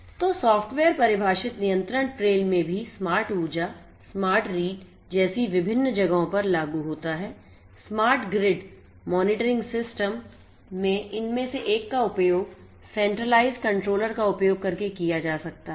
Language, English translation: Hindi, So, software defined control plane is also applicable for smart energy, smart read scenarios, in smart grid monitoring systems one could be used using the centralized controller